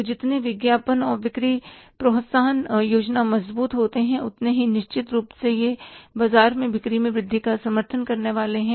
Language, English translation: Hindi, So, stronger the advertising and the sales promotion plan certainly is going to support the sales growth in the market